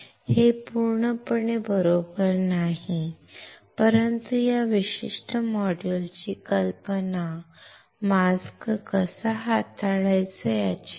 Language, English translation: Marathi, That is absolutely not correct, but the idea of this particular module is not to how to handle the mask